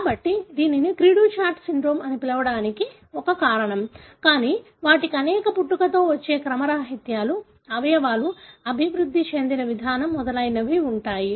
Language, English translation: Telugu, So, that is one of the reasons why it is called as cri du chat syndrome, but they have many congenital anomalies, the way the organs are developed and so on